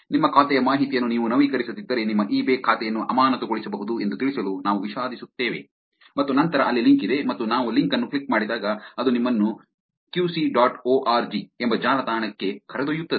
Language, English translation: Kannada, We regret to inform you that your eBay account could be suspended if you do not update your account information and then there is a link there and then when we click on the link it takes you to a website called kusi dot org